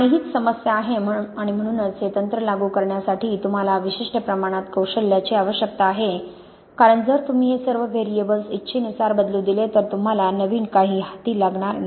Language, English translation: Marathi, And this is the problem and this is why you need a certain amount of expertise to apply the technique because if you let all these variables vary at will, then you can end up with any old rubbish